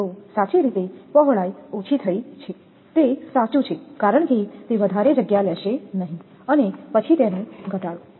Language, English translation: Gujarati, So, right of way width is reduced that is true because, it will not takes much space and your then reduction